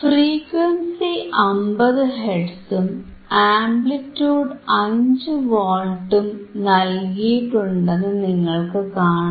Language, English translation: Malayalam, The frequency is 50 hertz amplitude is 5 volts